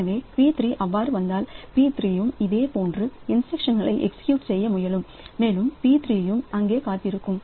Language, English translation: Tamil, So, if p3 comes, so p3 also executes similar instruction and p3 will also be waiting there